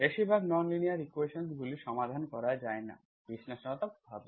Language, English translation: Bengali, Most of the nonlinear equations cannot be solved analytically